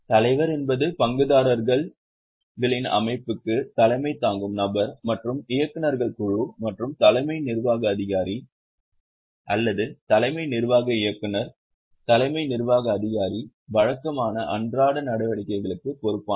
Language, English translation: Tamil, Chairperson is the person who heads the shareholders body and also heads the board of directors and CEO or the chief executive director, chief executive officer is in charge of regular day to day activities